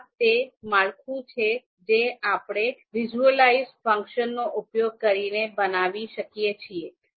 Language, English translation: Gujarati, So this is the structure that we can create using the visualize function